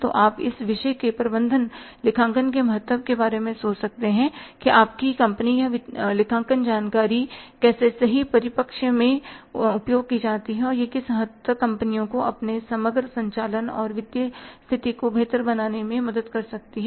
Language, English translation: Hindi, So, you can think about the importance of this subject management accounting that how your financials or accounting information if we used in the right perspective then how to what extent it can help the firms to improve its overall operating at the financial position